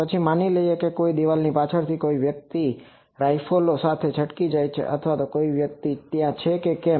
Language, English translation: Gujarati, Then suppose whether behind any wall someone escape some rifles or whether some person is thereby so